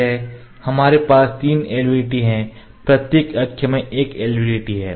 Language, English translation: Hindi, We have actually this is LVDT this is LVDT; we have three LVDTs each axis has an LVDT